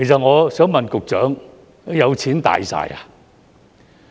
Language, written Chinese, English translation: Cantonese, 我想問局長，有錢"大晒"嗎？, I would like to ask the Secretary this Is having money almighty?